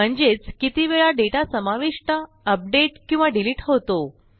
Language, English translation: Marathi, Meaning how often we add, update or delete data